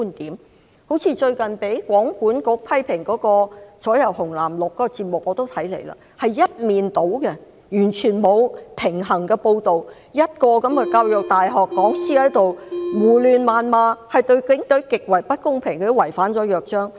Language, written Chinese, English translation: Cantonese, 好像我也曾收看最近被通訊事務管理局批評的節目"左右紅藍綠"，是一面倒的，完全沒有平衡的報道，一位教育大學的講師在胡亂謾罵，對警隊極為不公平，這已經違反了《約章》。, I have also watched the programme Pentaprism which has recently been criticized by the Communications Authority . In this programme the report was lopsided and completely unbalanced . A lecturer from The Education University of Hong Kong hurled abuses rashly and was very unfair to the Police